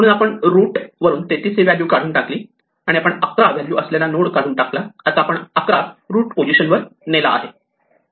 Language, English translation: Marathi, So, we first remove the 33 from the root, we remove the node containing 11 and we move the 11 to the position of the root